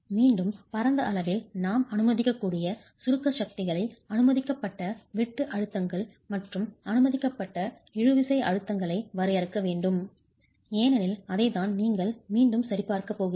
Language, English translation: Tamil, Okay, again broadly we need to define the permissible compressive forces, the permissible shear stresses and the permissible tensile stresses because that's again what you're going to be checking against